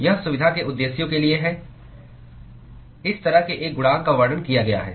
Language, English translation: Hindi, It is for convenience purposes such a coefficient has been described